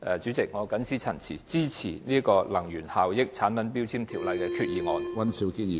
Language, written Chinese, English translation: Cantonese, 主席，我謹此陳辭，支持根據《能源效益條例》動議的擬議決議案。, With these remarks President I support the proposed resolution moved under the Ordinance